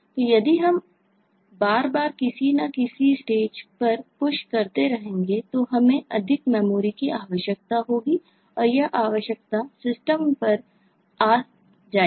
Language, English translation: Hindi, so if we repeatedly keep on doing push, at some stage we will need more memory and that requirement will come up to the system